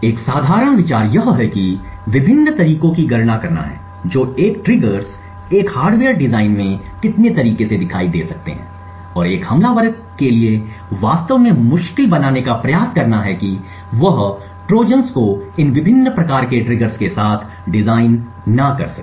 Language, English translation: Hindi, A base idea is to enumerate the different ways a triggers can appear in a hardware design and try to make it difficult for an attacker to actually design Trojans with these variety of triggers